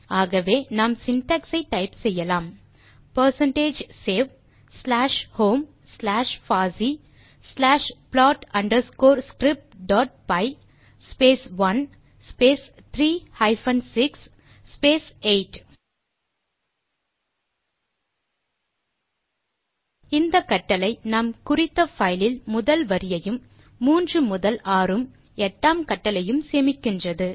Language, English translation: Tamil, Hence you can type in the syntax of percentage save slash home slash fossee slash plot underscore script dot py space 1 space 3 hyphen 6 space 8 This command saves the first line of code and then third to sixth followed by the eighth lines of code into the specified file